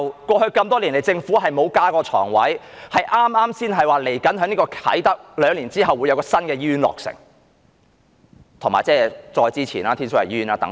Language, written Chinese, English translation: Cantonese, 過去多年來，政府沒有增加床位，剛剛才宣布兩年後在啟德會有一間新醫院落成，以及早前宣布的天水圍醫院等。, Over the years the Government has not increased inpatient beds . It has just announced the scheduled completion of a new hospital in Kai Tak in two years apart from announcing the Tin Shui Wai Hospital earlier